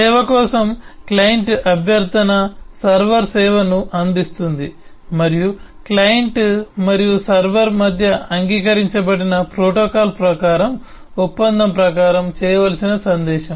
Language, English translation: Telugu, client request for service: the server provides the service and what carries it through is the message which has to be done according to contract, according to a protocol which is agreed between the client and the server